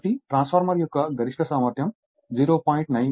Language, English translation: Telugu, A transformer has its maximum efficiency of 0